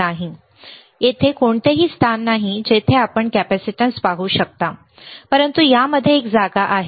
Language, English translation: Marathi, No, there is no place there you can see the capacitance, but in this there is a place